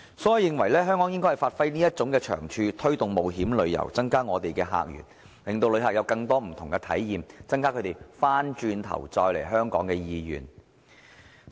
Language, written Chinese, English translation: Cantonese, 所以，我認為香港應該發揮這種長處，推動冒險旅遊，增加我們的客源，令旅客有更多不同的體驗，增加他們再來香港的意願。, As such I think Hong Kong should capitalize on this competitive advantage promote adventure tourism expand the sources of inbound visitors enable visitors to enjoy various types of experiences and enhance their intention to visit Hong Kong again